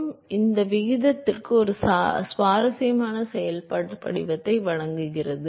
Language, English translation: Tamil, So, that provides an interesting functional form for the ratio